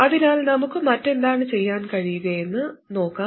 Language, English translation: Malayalam, So let's see what else we can do